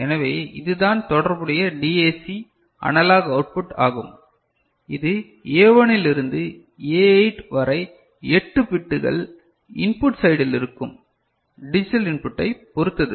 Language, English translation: Tamil, So, this is your the corresponding DAC analog output, depending on the digital input that you place in the at the input side in A1 to I mean at A8 in 8 bits